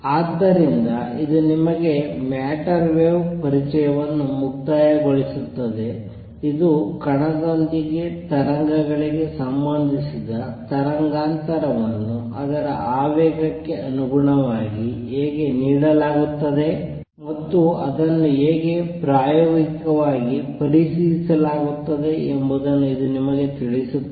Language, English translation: Kannada, So, this is this concludes introduction to matter waves to you it tells you how the wavelength associated with the waves with the particle is given in terms of its momentum, and how it is experimentally verified